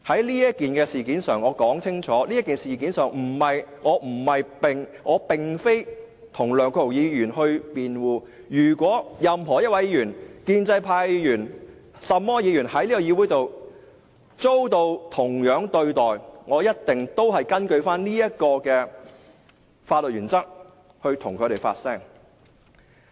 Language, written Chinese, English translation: Cantonese, 在此事件上，我要表明，我並非要為梁國雄議員辯護，如果任何一位議員，無論是建制派或其他派別議員，在這議會上遭受同樣對待，我都一定會根據這個法律原則替他們發聲。, Regarding this matter I wish to make it clear that I am not defending Mr LEUNG Kwok - hung . I will speak out for any Member whether pro - establishment or of other camps using the same legal principles if he is subject to the same treatment in this Council